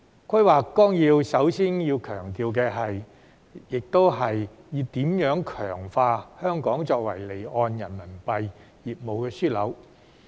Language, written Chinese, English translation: Cantonese, 規劃綱要首先強調的亦是如何強化香港作為離岸人民幣業務樞紐。, Also in the 14th Five - Year Plan emphasis was given to how to strengthen the role of Hong Kong as an offshore Renminbi RMB business hub before all else